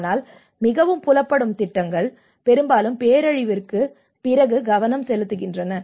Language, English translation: Tamil, But the most visible programs are mostly focused on after the disaster